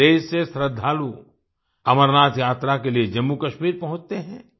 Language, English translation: Hindi, Devotees from all over the country reach Jammu Kashmir for the Amarnath Yatra